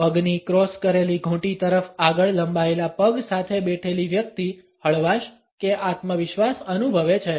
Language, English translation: Gujarati, A person sitting with legs stretched out stooped in ankles crossed is feeling relaxed or confident